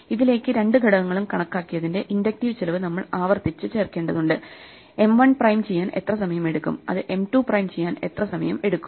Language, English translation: Malayalam, And to this, we have to recursively add the inductive cost of having computed the two factors; how much time it will takes us to do M 1 prime how much time it will take us to do M 2 prime